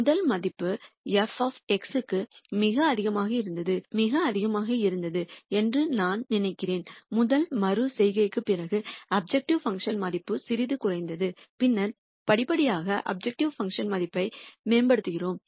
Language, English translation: Tamil, If you noticed, I think the first value was very high for f of X and after the first iteration the objective function value came down quite a bit, and then we have gradually keep improving the objec tive function value